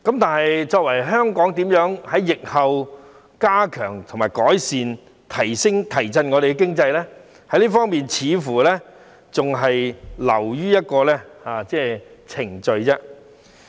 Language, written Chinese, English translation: Cantonese, 但是，香港如何在疫後改善及提振我們的經濟呢？這方面似乎還是流於一個程序。, However how is Hong Kong going to improve and revive our economy after the pandemic? . In this respect it seems that our efforts are reduced to a mere procedure